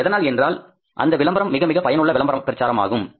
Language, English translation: Tamil, So, that is just because of very, very effective advertising campaign